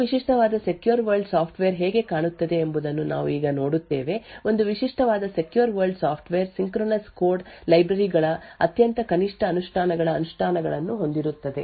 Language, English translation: Kannada, We now look at how a typical secure world software looks like, a typical secure world software would have implementations of very minimalistic implementations of synchronous code libraries